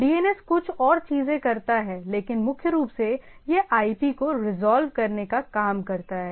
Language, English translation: Hindi, DNS does some few more things that we’ll see, but primarily it works on this resolving name to IP